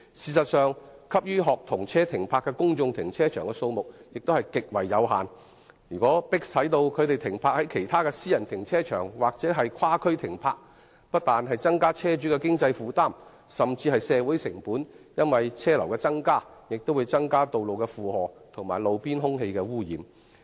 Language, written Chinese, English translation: Cantonese, 事實上，可供學童車停泊的公眾停車場的數目極為有限，如果學童車被迫停泊在其他私人停車場甚至其他地區，不但會加重車主的經濟負擔，更會令社會成本增加，因為車流增加必然會增加道路的負荷，並令路邊空氣污染的情況惡化。, As a matter of fact there is only a very limited number of parking spaces for student service vehicles in the public car parks . If student service vehicles are compelled to park in private car parks or even in other districts it will not only increase the financial burden of vehicle owners but also social costs because an increase in traffic flow will surely increase the loading of roads and aggravate roadside air pollution